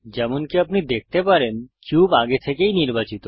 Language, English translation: Bengali, As you can see, the cube is already selected